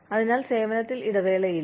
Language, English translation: Malayalam, So, no break in service